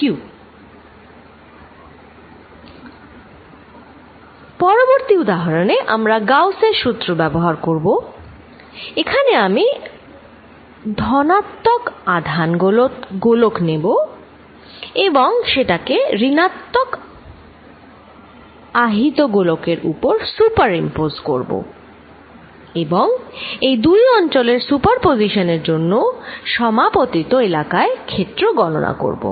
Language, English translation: Bengali, Next example I want to take we will use Gauss’s law and in this I want to take a positively charge sphere superimpose it on a negatively charge sphere and calculate the field due to this superposition of these two in this region, where they overlap